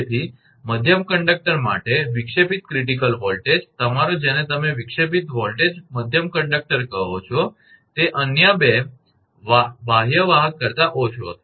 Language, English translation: Gujarati, Therefore, the disruptive critical voltage for middle conductor, your, what you call disruptive voltage middle conductor will be less than the 2 other outer conductor